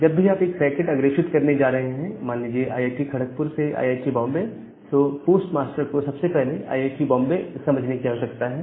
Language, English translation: Hindi, So, whenever you are forwarding a packet so, whenever you are forwarding a packet say from IIT, Kharagpur to IIT, Bombay the postmaster first need to understand IIT, Bombay